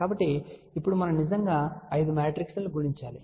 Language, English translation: Telugu, So, now, we actually have to multiply 5 matrices